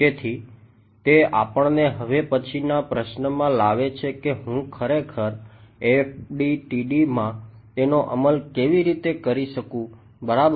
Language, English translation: Gujarati, So, that brings us to the next question of how do I actually implement this in FDTD ok